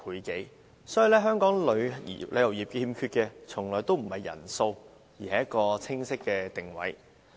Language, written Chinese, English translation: Cantonese, 由此可見，香港旅遊業欠缺的從來不是人數，而是一個清晰的定位。, Hence the number of visitors is never a problem to the tourism industry of Hong Kong what is missing is a clear positioning